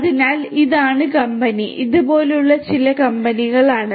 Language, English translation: Malayalam, So, these are the company, this is some of the companies like this